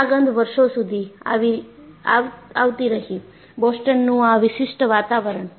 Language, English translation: Gujarati, The smell remained for decades, a distinctive atmosphere of Boston